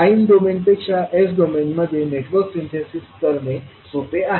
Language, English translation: Marathi, So Network Synthesis is easier to carry out in the s domain than in the time domain